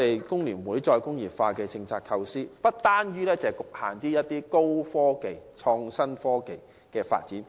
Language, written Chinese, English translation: Cantonese, 工聯會就"再工業化"政策的構思，不單局限於高科技及創新科技的發展。, FTUs idea of re - industrialization is not limited to the development of high technology and IT